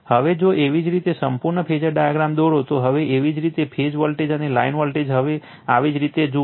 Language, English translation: Gujarati, Now, if you draw the complete phasor diagram now your phase voltage and line voltage now look into this your right